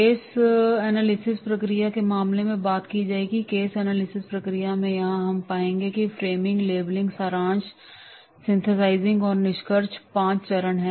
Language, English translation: Hindi, In the case of the case analysis process, in the case analysis process here we will find there is a framing, labeling, summarizing, synthesizing and concluding